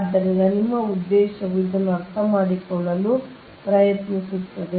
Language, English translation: Kannada, so your objective will be: try to understand this right